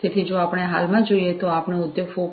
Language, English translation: Gujarati, So, if we look at present we are talking about Industry 4